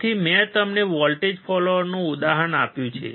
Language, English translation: Gujarati, So, I have given you an example of voltage follower